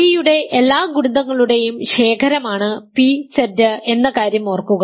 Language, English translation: Malayalam, Remember p Z is the collection of all multiples of p